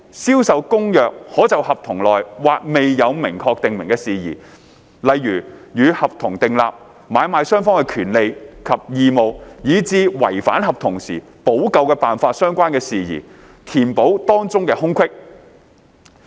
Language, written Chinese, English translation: Cantonese, 《銷售公約》可就合同內或未有明確訂明的事宜，例如與合同訂立、買賣雙方的權利及義務、以至違反合同時補救辦法相關的事宜，填補當中的空隙。, CISG could fill in gaps in the contract on matters which might not be expressly provided for in the contract such as the rights and obligations of the buyer and seller in relation to the contract or remedial matters relating to the breach of contract